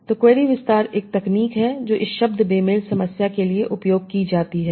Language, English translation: Hindi, So query expansion is one of the techniques that is used for this term mismatch problem